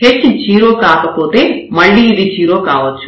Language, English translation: Telugu, If h is non zero again this can be 0